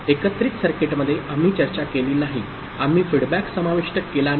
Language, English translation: Marathi, In the combinatorial circuit we did not discuss, we did not include feedback